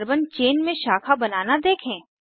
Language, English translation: Hindi, Observe the branching in the Carbon chain